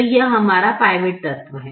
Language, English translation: Hindi, so this is our pivot element